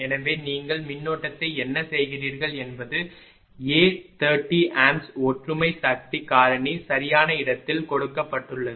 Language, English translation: Tamil, So, what you do the current is given at at point A 30 ampere unity power factor right